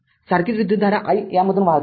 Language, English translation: Marathi, This same current i is flowing through this right